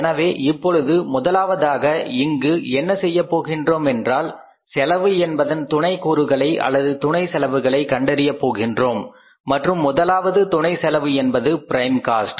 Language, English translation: Tamil, So, first of all now what we have to do here is that we will have to calculate the first sub component of the cost or the sub cost and that sub cost is the prime cost